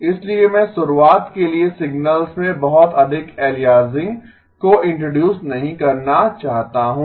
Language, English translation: Hindi, So that is why I do not want to introduce a lot of aliasing in the signals to begin with